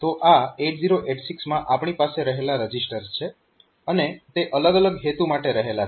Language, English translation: Gujarati, So, these are the registers that we have in 8086 and they are they have got different purposes